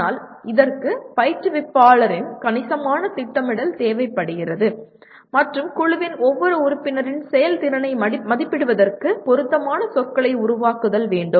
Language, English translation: Tamil, But this requires considerable planning on behalf of the instructor and developing appropriate rubrics for evaluation of the performance of each member of the group